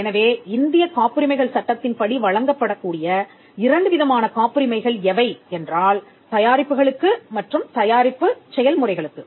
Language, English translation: Tamil, So, the two kinds of patents broadly that can be granted under the Indian patents act are either for a product or for a process